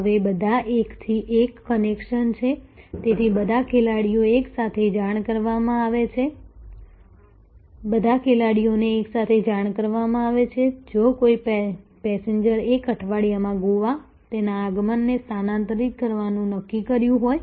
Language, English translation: Gujarati, Now, there are all one to one connections, so all players are simultaneously informed if a passenger has decided to shift his or her arrival in Goa by a week